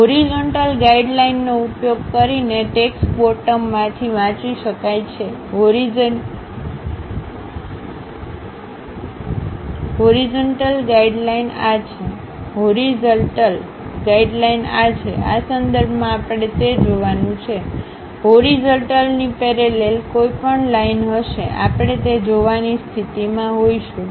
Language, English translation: Gujarati, The texts is read from the bottom using the horizontal guidelines; the horizontal guidelines are these one, with respect to that we have to see that; any line parallel to that horizontal, we will be in a position to see that